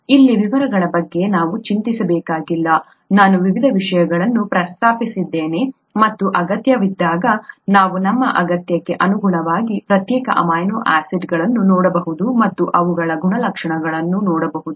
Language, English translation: Kannada, You donÕt have to worry about the details here, I just mentioned the various things, as and when necessary, we can look at individual amino acids depending on our need, and a look at their properties